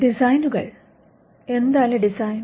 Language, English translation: Malayalam, Designs; what is a design